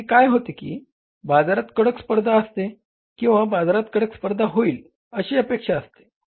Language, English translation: Marathi, Sometimes what happens that there is a stiff competition in the market or expected to come up a stiff competition in the market